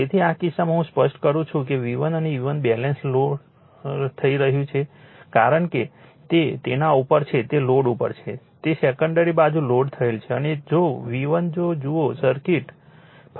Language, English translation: Gujarati, So, in this case let me clear it in this case that V 1 and E 1 balance is lost because it is on it is on your what you call, it is on loaded, secondary side is loaded the and and V 1 if you look into the circuitjust first let me explain here